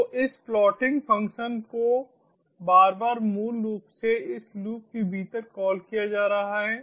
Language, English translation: Hindi, so this plotting function is being called again and again, basically iteratively, within this loop